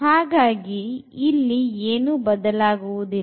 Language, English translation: Kannada, So, nothing will change